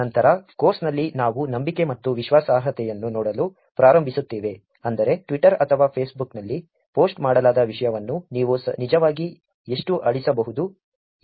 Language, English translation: Kannada, Later in the course we will start looking at trust and credibility which is how much can you actually delete the content that are posted on Twitter or Facebook